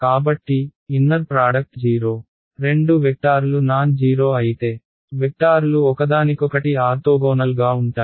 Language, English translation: Telugu, So, inner product 0 when the two vectors are non zero themselves means are the vectors are orthogonal to each other